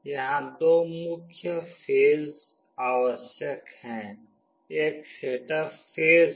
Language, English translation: Hindi, The main phases that are required here are two, one is the setup phase